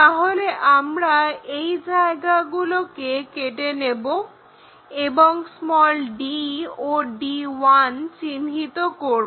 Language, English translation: Bengali, So, we will be in a position to make a cut here to locate d and to locate d 1', d 1